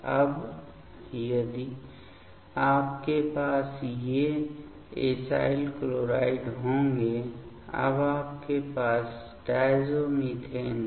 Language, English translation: Hindi, Now, if you will have these acyl chloride; now you have diazomethane